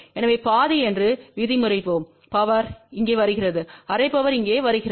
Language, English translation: Tamil, So, let us say half power comes here half power comes here